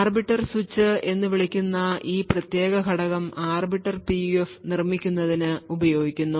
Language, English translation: Malayalam, So this primitive component called the arbiter switch is then used to build an Arbiter PUF